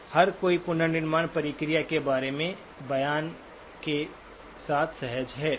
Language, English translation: Hindi, So everyone comfortable with the statement about the reconstruction process